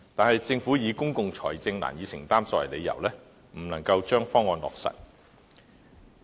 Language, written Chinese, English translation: Cantonese, 可是，政府以公共財政難以承擔作為理由，未將方案落實。, However the Government has not yet implemented the proposal and cited difficulties in providing public financial support